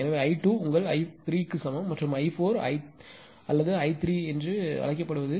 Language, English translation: Tamil, So, I 2 is equal to your I 3 is this much and I 4 or ah what do you call I 3 is your this much 0